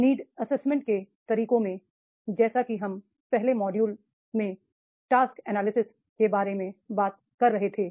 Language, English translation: Hindi, In the methods of the need assessment as we were talking about the task analysis in the earlier model